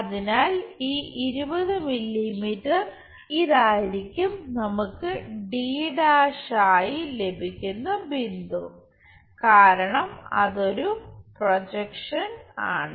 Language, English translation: Malayalam, So, 20 mm so, this is the point where we will have d’ because its a projection